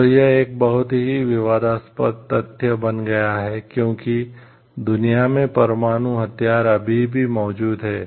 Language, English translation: Hindi, So, that that becomes a very disputed fact like, whether the nuclear weapon should still be there in the world or not